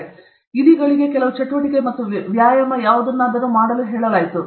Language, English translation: Kannada, So, rats were asked to do some activity or exercise or whatever